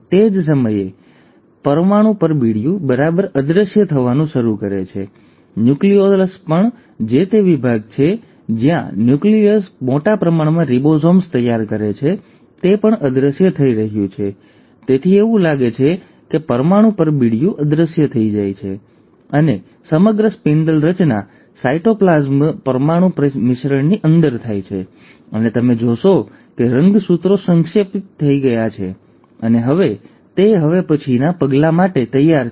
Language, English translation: Gujarati, At the same time, the nuclear envelope, right, starts disappearing, even the nucleolus, which is the section where the nucleus prepares a large amount of ribosomes is also disappearing, so it is like the nuclear envelope disappears and the entire spindle formation happens within the cytoplasm nuclear mix, and you find that the chromosomes have condensed and they are now ready for the next step